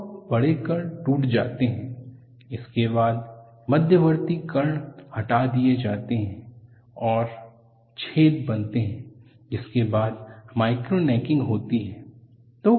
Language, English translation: Hindi, So, the large particles break, followed by intermediate particles getting removed and forming holes, which is followed by micro necking